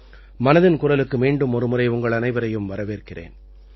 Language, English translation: Tamil, I extend a warm welcome to you all in 'Mann Ki Baat', once again